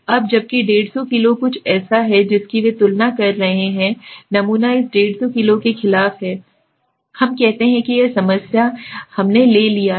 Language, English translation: Hindi, Now that 150 kg is something they are comparing against the sample mean against this 150 kg okay, let us say this is the problem we have taken